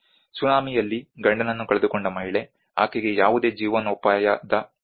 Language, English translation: Kannada, A lady who lost her husband in the tsunami, she actually does not have any livelihood support